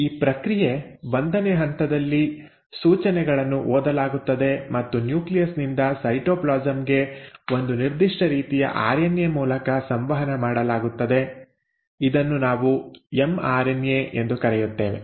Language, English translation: Kannada, Now, this process, the step 1 in which the instructions are read and are communicated from the nucleus into the cytoplasm by one specific kind of RNA which we call as the mRNA